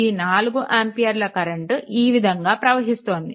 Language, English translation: Telugu, So, this 4 ampere current is going like these